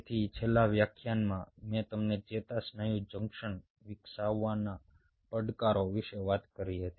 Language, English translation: Gujarati, so in the last lecture i talked to you about the challenges of developing a neuromuscular junction